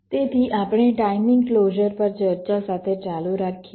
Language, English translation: Gujarati, so we continue with a discussion on timing closure